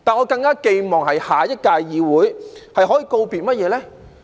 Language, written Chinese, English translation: Cantonese, 不過，在下一屆議會，我更寄望告別甚麼呢？, But then to what do I want the legislature of the next term to bid farewell all the more?